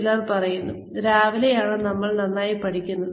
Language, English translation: Malayalam, Some people say that, we learn best in the morning